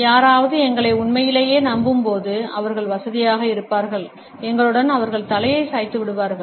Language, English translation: Tamil, When somebody really believes in us they are comfortable around with us, they will tilt their head